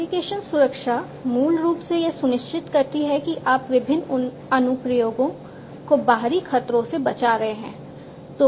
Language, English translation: Hindi, Application security basically ensures that you are protecting the different applications from outsider threats